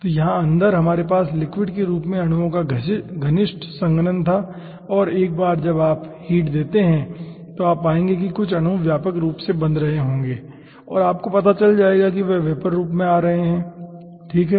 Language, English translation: Hindi, so here inside we had close compaction of the molecules in the form of liquid and once you add heat you will be finding out some molecules will be becoming widely ah pact and you will be finding out those are coming in the vapa, vapor form